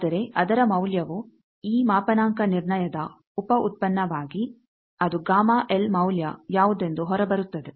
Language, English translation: Kannada, But its value actually as a byproduct of this calibration it comes out that what was that gamma L value